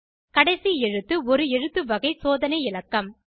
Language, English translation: Tamil, The last character is an alphabetic check digit